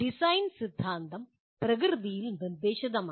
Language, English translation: Malayalam, Whereas design theory is prescriptive in nature